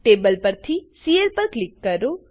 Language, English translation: Gujarati, Click on Cl from the table